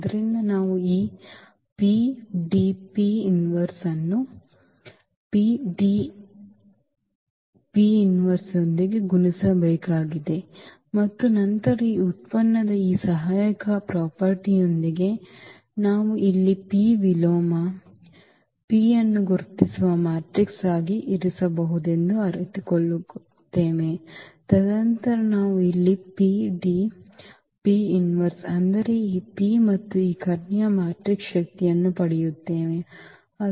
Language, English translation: Kannada, So, we need to multiply this PDP inverse with the PDP inverse and then with this associativity property of this product we will realize here that this P inverse, P is there which we can put as the identity matrix and then we will get here P D and D P inverse meaning this P and the power of this diagonal matrix